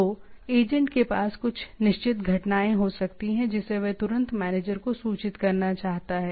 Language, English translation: Hindi, So, agent may have some certain events which it wants to inform immediately to the manager